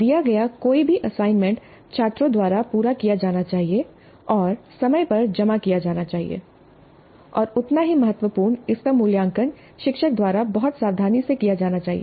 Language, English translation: Hindi, Any assignment given must be completed by the students and submitted in time and equally important it must be evaluated by the teacher very carefully